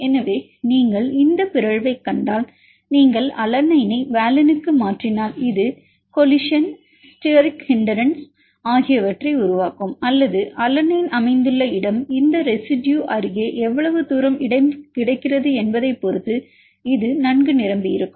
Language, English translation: Tamil, So, if you see this mutation if you mutate mutate alanine to valine either this will make a collision, steric hindrance or it can well packed depending upon where the alanine is located and how far space is available nearby this residue